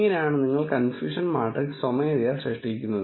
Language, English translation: Malayalam, This is how you generate the confusion matrix manually